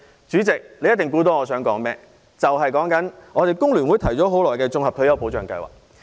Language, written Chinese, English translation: Cantonese, 主席，你一定猜到，我想說工聯會提出的綜合退休保障計劃。, Chairman you must have guessed that I would like to talk about the comprehensive retirement protection scheme proposed by the Hong Kong Federation of Trade Unions